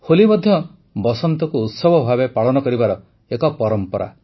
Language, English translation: Odia, Holi too is a tradition to celebrate Basant, spring as a festival